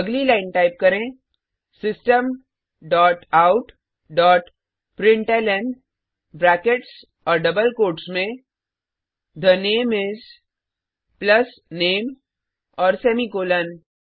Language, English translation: Hindi, Next line type System dot out dot println within brackets and double quotes The name is plus name and semicolon